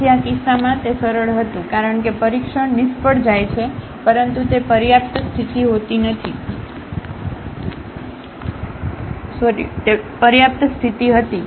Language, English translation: Gujarati, So, it was easier in this case because the test fails, so but it was a sufficient condition